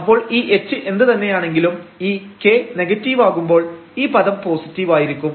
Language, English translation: Malayalam, So, whatever h is h may be 0 or h may be non zero, but when k is negative this product is going to be positive